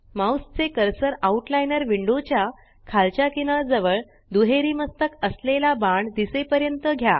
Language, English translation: Marathi, Move your mouse cursor to the bottom edge of the Outliner window till a double headed arrow appears